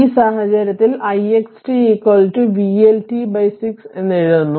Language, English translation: Malayalam, In this case, we are writing I x t is equal to vLt upon 6